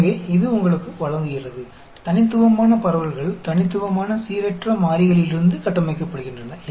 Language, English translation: Tamil, So, it gives you, discrete distributions are constructed from discrete random variables, actually